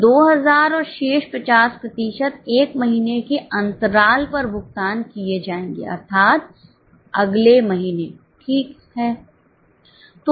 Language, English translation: Hindi, So, 2000 and remaining 50% is to be paid with a lag that is in the next month